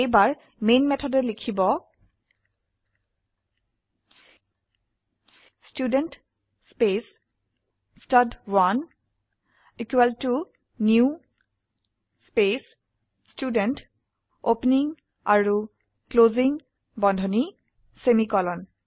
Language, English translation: Assamese, For that, inside the main method, type Student space stud1 equal to new space Student opening and closing brackets, semicolon